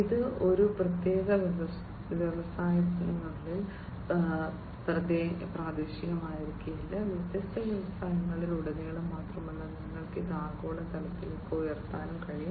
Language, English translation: Malayalam, And this is not going to be just local within a particular industry, but across different industry, and also you can scale it up to the global level